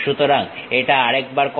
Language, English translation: Bengali, So, let us do it once again